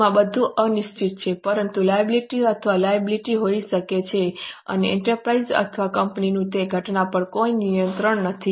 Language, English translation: Gujarati, This may everything is uncertain but liability or obligation can't and enterprise or a company has no control over that event